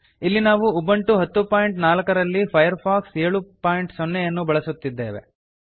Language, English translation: Kannada, Here we are using Firefox 7.0 on Ubuntu 10.04